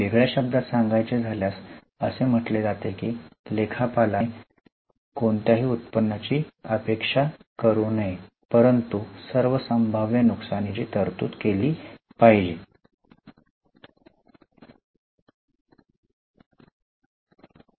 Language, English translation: Marathi, To put it in specific terms, it states that accountant should not anticipate any income but shall provide for all possible losses